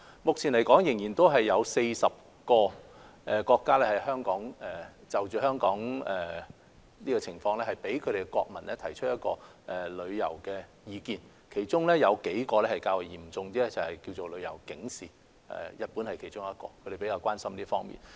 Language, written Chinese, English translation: Cantonese, 目前仍然有40個國家就香港的情況，向國民發出旅遊提示，其中有數個國家發出了程度較為嚴重的旅遊警示，而日本是其中之一，他們比較關心這方面。, Presently there are still 40 countries having issued travel advice to their citizens in respect of the situation of Hong Kong . Among them several countries have issued travel warnings which are more serious in nature and Japan is one of them as they are more concerned about this